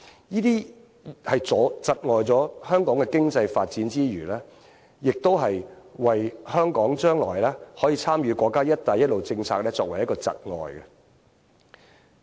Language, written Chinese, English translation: Cantonese, 這些窒礙了香港經濟發展之餘，亦阻礙香港將來可以參與國家"一帶一路"政策。, Such circumstances not only impede Hong Kongs economic development but also hinder Hong Kongs future participation in the One Belt One Road development introduced by the State